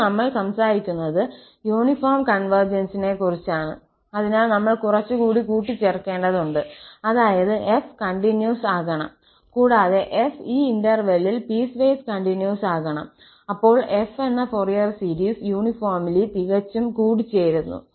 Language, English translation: Malayalam, And now, we are talking about the uniform convergence, so, we have to add a little more, that is the f has to be continuous and f prime should be piecewise continuous on this interval, then the Fourier series of f converges uniformly and also absolutely